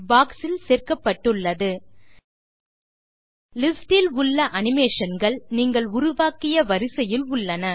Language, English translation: Tamil, Observe that the animation in the list are in the order in which you created them